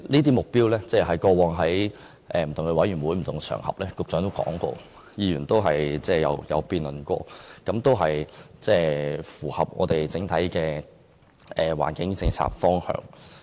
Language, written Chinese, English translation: Cantonese, 局長在過往不同的委員會及場合都曾提及這些目標，議員亦曾作辯論，認為有關目標符合整體環境政策的方向。, These targets were mentioned by the Secretary at different committee meetings and on various occasions . Members had debated on these targets and considered them in line with the general direction of the environmental policy